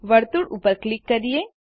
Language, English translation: Gujarati, Click on Circle